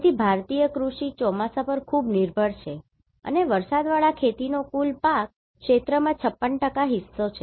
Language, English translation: Gujarati, So, Indian Agriculture continues to be highly dependent on monsoon and rain fed agriculture accounts for 56% of the total crop area